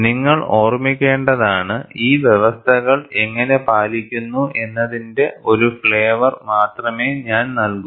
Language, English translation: Malayalam, And you have to keep in mind, I am going to give only a flavor of how these conditions are met